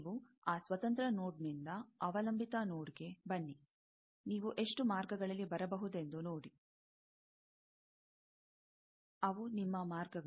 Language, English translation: Kannada, You come from that independent node to dependent node; see how many paths you can come like that, those are your paths